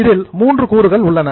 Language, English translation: Tamil, There are two types